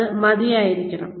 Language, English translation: Malayalam, It has to be adequate